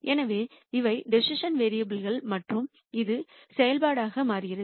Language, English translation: Tamil, So, these become the decision variables and this becomes a function